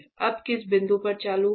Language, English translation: Hindi, So, at what point this will turn on now